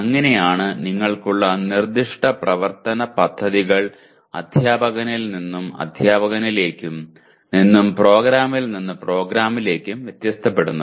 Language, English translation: Malayalam, That is how the specific action plans that you have will differ from teacher to teacher from program to program